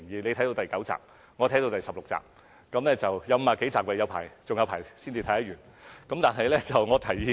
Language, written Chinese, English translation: Cantonese, 她看到第九集，我看到第十六集，全劇有50多集，還有很多集才看完。, She is on episode nine and I am on episode 16 . There are still a lot to watch as the series is made up of more than 50 episodes